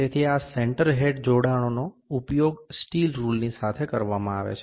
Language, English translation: Gujarati, So, this center head attachment is used along with the steel rule